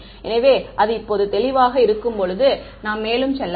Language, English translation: Tamil, So, while that now that is clear let us go further